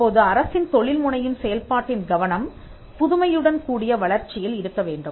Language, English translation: Tamil, Now, the focus of the entrepreneurial activity of the state should be on innovation led growth